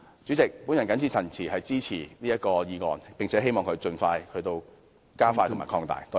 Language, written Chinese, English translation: Cantonese, 主席，我謹此陳辭，支持這項決議案，並且希望強制性標籤計劃加快進度和擴大範圍。, With these remarks President I support this resolution and hope that MEELS can proceed more expeditiously with an extended scope